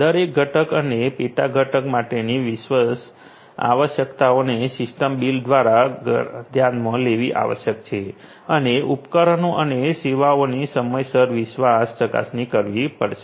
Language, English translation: Gujarati, The trust requirements for every component and sub component has to be considered by the system builder and timely trust verification of the devices and services will have to be provided